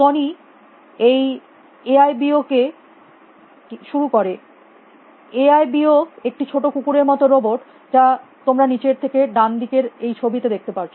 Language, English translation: Bengali, Sony introduced this AIBO, AIBO is that small dog like robot that you can see in the picture on the bottom right